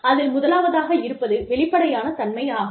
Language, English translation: Tamil, The first is transparency